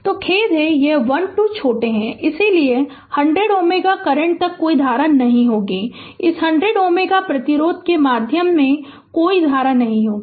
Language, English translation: Hindi, So, ah sorry this ah, sorry this ah this 1 2 is shorted, so there will be no current to 100 ohm, and no current through this 100 ohm resistance